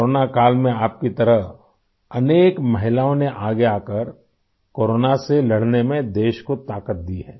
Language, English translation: Hindi, During corona times many women like you have come forward to give strength to the country to fight corona